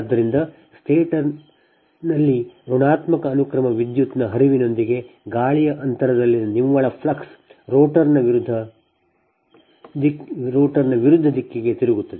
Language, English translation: Kannada, so, with the flow of negative sequence current in the stator right, the net flux in the air gap rotates at opposite direction to that of the rotor